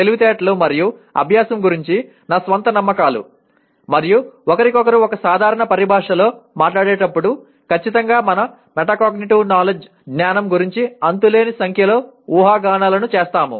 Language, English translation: Telugu, And my own beliefs of what intelligence and learning and I am sure when you talk to each other in a common parlance we make endless number of assumptions about our metacognitive knowledge